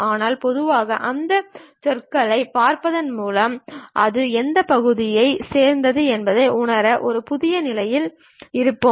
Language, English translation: Tamil, But in general, by looking at those words we will be in new position to really sense which part it really belongs to